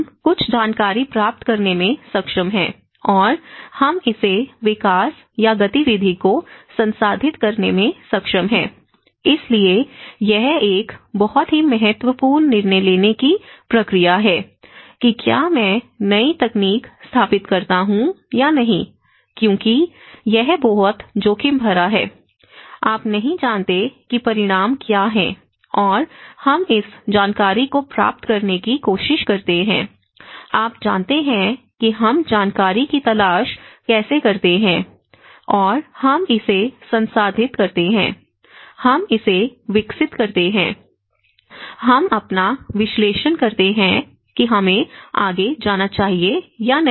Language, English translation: Hindi, So, this is where the information seeking, we are able to seek some information and we are able to process it development or activity so, this is a very important decision making process whether I install new technology or not because it is a very risky, you do not know what is the consequences and we try to relay on this information seeking, you know that how we seek for information and we process it, we develop it, we make our own analysis of whether we should go further or not